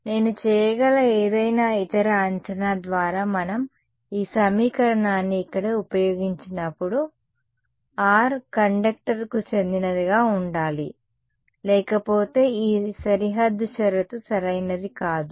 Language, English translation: Telugu, Any other assumption that I can make; by the way when we when we use this equation over here we are constrained that r must belong to the conductor right otherwise this boundary condition is not going to be valid right